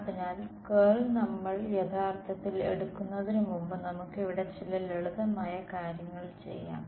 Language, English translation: Malayalam, So, let us before we actually take the curl is do some simple sort of things over here